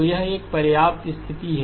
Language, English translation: Hindi, So it is a sufficient condition